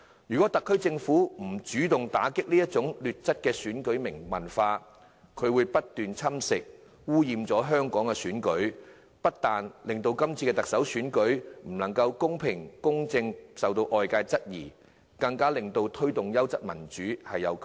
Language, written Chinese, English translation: Cantonese, 如果特區政府不主動打擊這種劣質選舉文化，它會不斷侵蝕、污染香港的選舉，不單令今次的特首選舉是否能夠公平、公正進行受到外界質疑，更窒礙當局推動優質民主的努力。, If the SAR Government does not take the initiative to combat this vile electoral culture it will continue to erode and pollute our elections . As a result it will not only arouse peoples doubts about the fairness and equity of the Chief Executive Election but also dampen the authorities efforts in the promotion of high - quality democracy